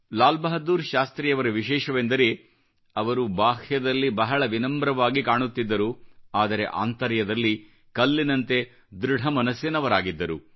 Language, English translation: Kannada, LalBahadurShastriji had a unique quality in that, he was very humble outwardly but he was rock solid from inside